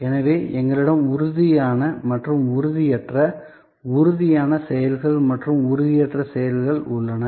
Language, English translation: Tamil, So, we have tangible and intangible, tangible actions and intangible actions